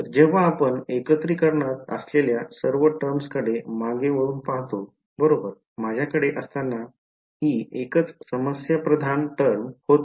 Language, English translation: Marathi, So, when we look back at all the terms that we had in the integration right this was the only problematic term when I have